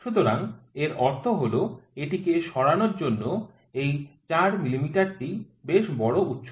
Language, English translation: Bengali, So, that means, this 4 mm is quite a large height to quite a large to make it move